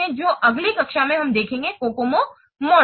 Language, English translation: Hindi, So in the next class we will see that Cocoa model